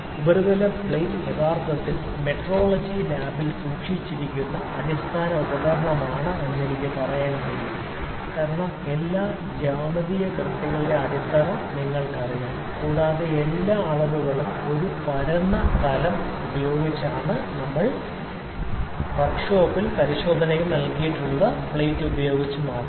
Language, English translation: Malayalam, Surface plate is actually the basic or fundamental, I can say tool that is kept in a metrology lab, because you know the foundation of all the geometric accuracy and all the dimensional measurement is a flat plane, which is actually provided in the work shop and inspection laboratories by the surface plate only